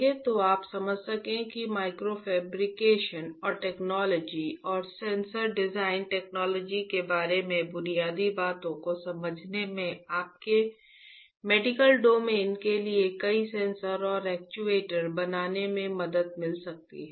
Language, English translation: Hindi, So, that you can understand that how understanding basics about micro fabrication and technology and sensor design technology can help you to fabricate several sensors and actuators for medical domain